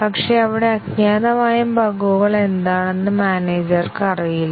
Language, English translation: Malayalam, But then, the manager does not know what are the unknown bugs there